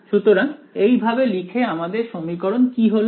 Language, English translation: Bengali, So, with that substitution what will this equation become